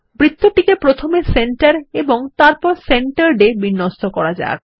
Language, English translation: Bengali, We shall align the circle to Centre and then to Centered